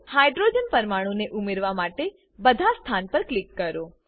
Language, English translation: Gujarati, Click on all the positions to add hydrogen atoms